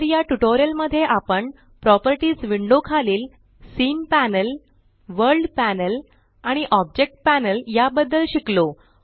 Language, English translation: Marathi, So, in this tutorial we have covered scene panel, world panel and Object panel under the Properties window